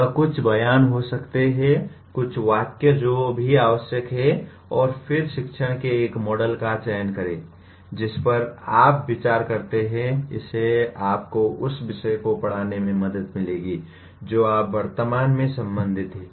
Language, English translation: Hindi, It could be a few statements, few sentences that are all required and then select a model of teaching that you consider will help you to plan your teaching the subject that you are presently concerned with